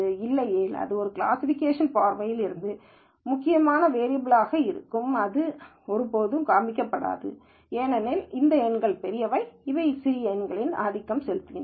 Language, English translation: Tamil, Otherwise while this might be an important variable from a classification viewpoint, it will never show up, because these numbers are bigger and they will simply dominate the small number